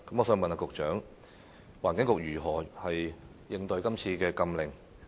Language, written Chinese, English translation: Cantonese, 請問局長，環境局會如何應對是次禁令呢？, May I ask the Secretary how the Environment Bureau will cope with the ban this time around?